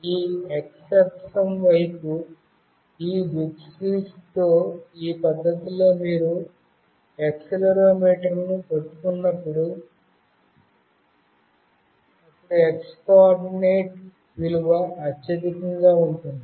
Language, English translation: Telugu, Whenever you hold this accelerometer with the arrow towards this x axis in this fashion, then the x coordinate value will be the highest